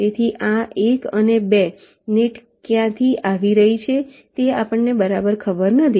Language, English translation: Gujarati, so we do not know exactly from where this one and two nets are coming